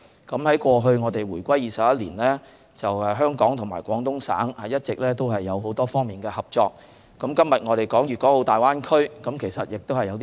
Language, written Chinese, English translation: Cantonese, 自回歸後21年以來，香港與廣東省一直有多方面的合作，那麼今天我們所說的粵港澳大灣區究竟有何新元素？, During the 21 years since Hong Kongs reunification Hong Kong has been cooperating with Guangdong Province in various aspects . Then are there any new elements in the Greater Bay Area today?